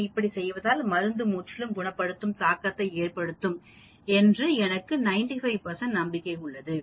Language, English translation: Tamil, If I do that then I have a 95 percent confidence that drug has a completely curative affect